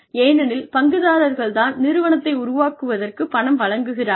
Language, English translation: Tamil, Because, the shareholders are the ones, who have given the money, to set up the organization